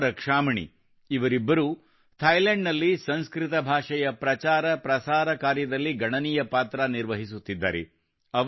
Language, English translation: Kannada, Kusuma Rakshamani, both of them are playing a very important role in the promotion of Sanskrit language in Thailand